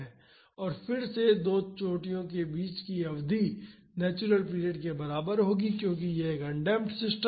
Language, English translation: Hindi, And, again the period between 2 peaks will be equal to the natural period because this is a undamped system